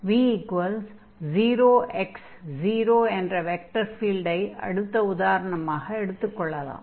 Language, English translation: Tamil, So, for instance, if we take the vector field here, v is equal to x and 0, 0